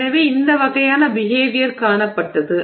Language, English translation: Tamil, So this this kind of behavior has been seen